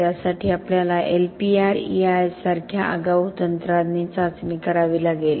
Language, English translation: Marathi, For that we have to test with advance techniques such as LPR and EIS